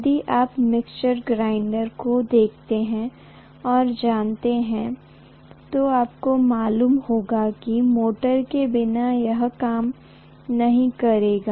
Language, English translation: Hindi, If you look at, you know mixer grinder, without motor, it will not work